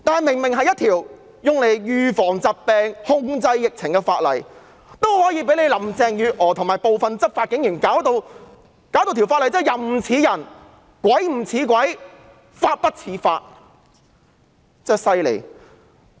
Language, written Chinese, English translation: Cantonese, 明明是用作預防疫病、控制疫情的法例，林鄭月娥和部分執法警員卻將之變得"人不人，鬼不鬼，法不法"，真的很厲害。, The legislation is supposed to be used for epidemic prevention and control . But Carrie LAM and some enforcement officers have turned it into something unmanly unearthly and unlawful . How ridiculous is that!